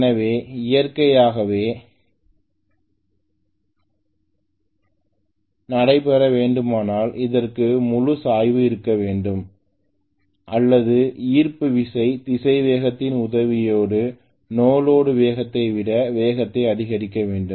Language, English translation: Tamil, So naturally if regenerative has to take place, it has to have a slope or the gravity has to aid the velocity to become higher than the no load speed